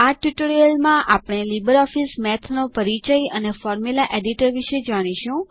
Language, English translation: Gujarati, In this tutorial, we will cover Introduction and Formula Editor of LibreOffice Math